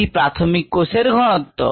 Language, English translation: Bengali, this is the initial cell concentration